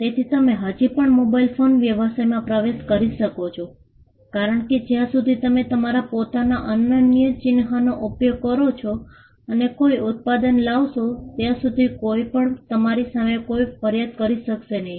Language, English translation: Gujarati, So, you can still enter the mobile phone business because, as long as you use your own unique mark and come up with a product, nobody can have any grievance against you